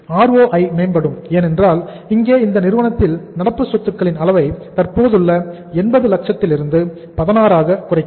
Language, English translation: Tamil, The ROI will improve because here in this firm also we are reducing the level of current assets from the existing level of 80 lakhs to uh say by 16